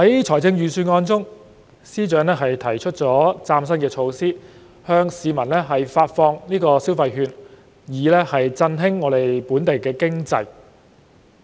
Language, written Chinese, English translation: Cantonese, 在預算案中，司長提出嶄新措施，向市民派發消費券以振興本地經濟。, FS proposes a brand - new measure in the Budget to issue consumption vouchers to the public to revitalize the local economy